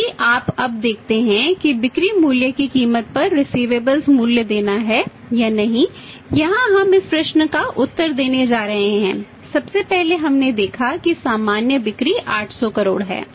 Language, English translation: Hindi, If you see now look at that whether to value receivable at the cost of the selling price here we are going to answer this question and in this case first of all we saw that normal sale is 800 crores